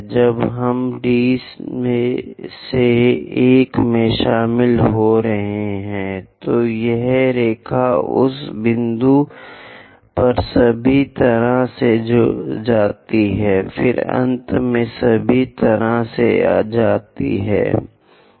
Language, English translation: Hindi, When we are joining D to 1 dash, this line goes all the way intersect at that point, then finally goes all the way